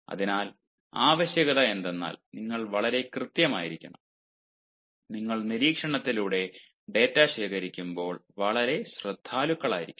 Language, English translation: Malayalam, you need to be very careful and cautious while you are collecting data through observation